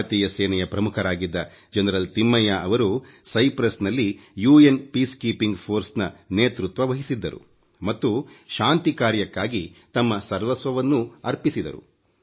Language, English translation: Kannada, General Thimaiyya, who had been India's army chief, lead the UN Peacekeeping force in Cyprus and sacrificed everything for those peace efforts